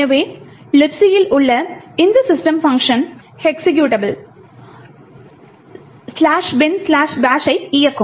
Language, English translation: Tamil, So, this function system in LibC would essentially execute the executable slash bin slash bash